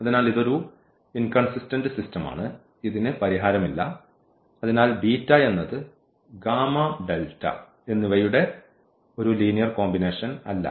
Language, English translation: Malayalam, So, this is a inconsistent system and it has no solution and therefore, beta is not a linear combination of gamma and delta